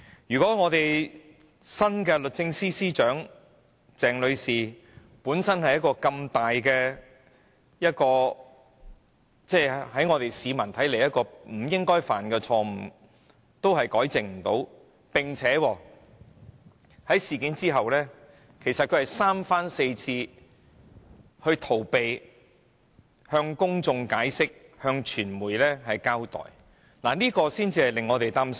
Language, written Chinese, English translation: Cantonese, 如果新任律政司司長鄭女士連這個普羅市民看來不應犯下的重大錯誤也不能糾正，並在事發後三番四次逃避向公眾解釋、向傳媒交代，則未免令我們感到擔憂。, If Ms CHENG our new Secretary for Justice fails to rectify such a serious mistake which the general public do not think she should have committed and keeps avoiding offering an explanation to the public and the media after the incident has come to light we will inevitably be worried about the situation